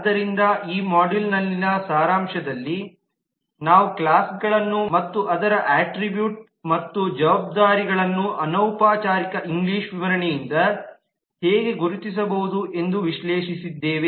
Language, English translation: Kannada, so in summary in this module we have analyzed how we can identify classes and its attributes and responsibility from a informal english description